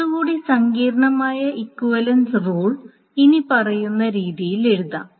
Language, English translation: Malayalam, A little bit more complicated equivalence rule can be written in the following manner